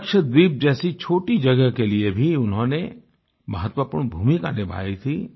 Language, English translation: Hindi, He played a far more significant role, when it came to a small region such as Lakshadweep too